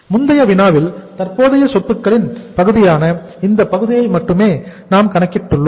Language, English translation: Tamil, In the previous problem you have seen that we have only calculated the this part that is the current assets part